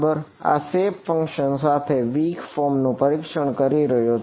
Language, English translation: Gujarati, I am testing the weak form with this shape function